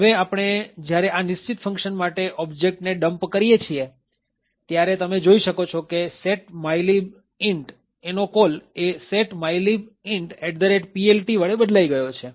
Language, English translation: Gujarati, So, when we do the object dump for this particular function say increment mylib int, what you see the call to setmylib int is replaced with a call to setmylib int at PLT